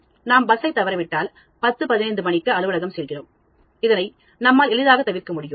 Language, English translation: Tamil, If I miss the bus and come to the office at 10:15, then you can easily prevent that